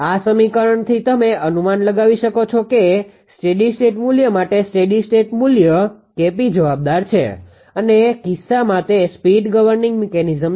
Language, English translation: Gujarati, From this equation you guess that for the steady state values; steady state value K p is responsible K p and in this case those speed governing mechanism